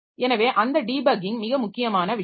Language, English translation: Tamil, So that debugging is a very important thing